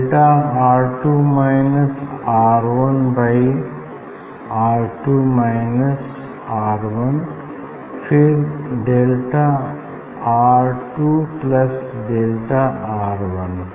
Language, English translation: Hindi, delta R 2 plus delta R; 1 by R 2 minus R 1 and then delta R 2 plus delta R 1